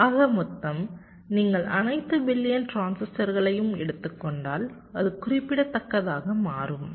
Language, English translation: Tamil, so the sum total, if you take over all billions transistors, it can become significant right